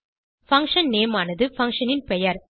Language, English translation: Tamil, function name is the name of the function